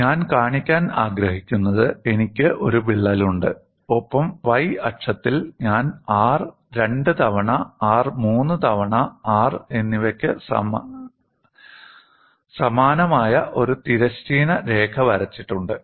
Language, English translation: Malayalam, What I want to show is I have a crack, and on the y axis, I have drawn a horizontal line corresponding to resistance R and 2 times R and 3 times R